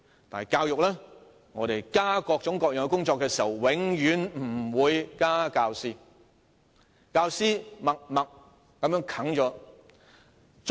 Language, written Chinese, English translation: Cantonese, 但是，在教育上，政府在增加各種各樣的工作時，永遠不會增加教師數目，教師默默把工作承受。, However when the Government increases various kinds of work in education it never increases the number of teachers and the teachers just undertake the work in silence